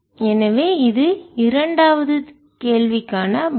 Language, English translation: Tamil, so this the answer for the second question answer